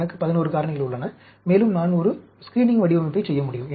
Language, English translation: Tamil, I have 11 factors, and I can do a screening design